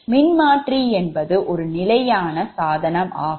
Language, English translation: Tamil, so transformer actually is a static device